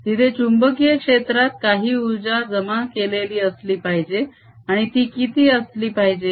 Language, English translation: Marathi, there should be a some energy stored in the magnetic field, and what should it be